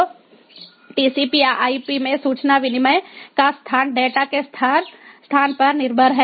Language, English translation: Hindi, so the location, the information exchange in tcp ip is dependent on the location of data